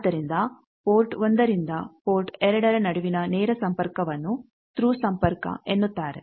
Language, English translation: Kannada, So, direct connection of port 1 to port 2 that is called Thru connection